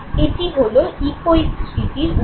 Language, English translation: Bengali, And this is the source of echoic memory